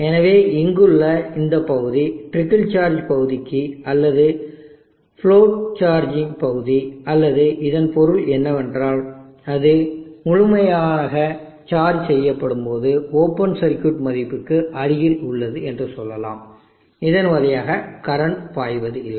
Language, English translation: Tamil, So this region here is the trickle charge region or the float charging region or it is basically means is that when it is completely charged let us say near the open circuit value there is no current flowing through it the movement